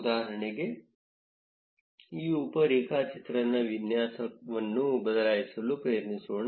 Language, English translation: Kannada, As an example let us try changing the layout of this sub graph